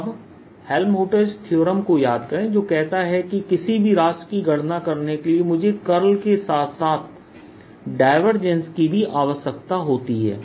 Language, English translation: Hindi, now recall helmholtz theorem that says that to calculate any quantity i need its curl as well as divergence